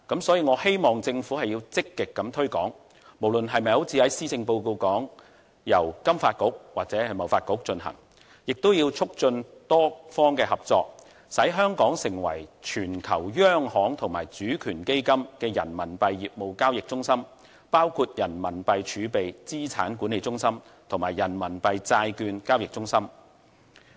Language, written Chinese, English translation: Cantonese, 所以，我希望政府積極推廣，不論是否由施政報告所提到的金發局或是由香港貿易發展局進行，也要促進多方合作，使香港成為全球央行及主權基金的人民幣業務交易中心，包括人民幣儲備資產管理中心及人民幣債券交易中心。, Therefore I hope the Government will take active steps to promote the work in this area . Regardless of which organization is to take up the task―FSDC as discussed in the Policy Address or the Hong Kong Trade Development Council―efforts must be made to promote the cooperation of all sides so as to turn Hong Kong into an RMB trading centre for central banks and sovereign funds all over the world in their business of RMB reserves and assets management and RMB bond trading